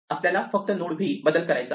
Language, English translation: Marathi, We just have to change none to v